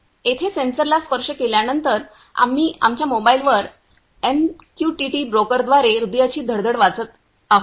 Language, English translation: Marathi, Here after touching the sensor, we are getting the reading here of the heart beat through the MQTT broker on our mobile